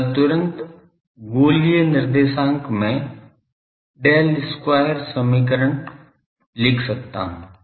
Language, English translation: Hindi, So, I can immediately write the Del square equation in the spherical coordinate